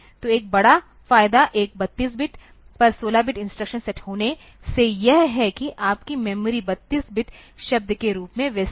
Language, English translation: Hindi, So, the major advantage that you gain, by having a 16 bit instruction set over a 32 bit is that, your memory is organized as 32 bit word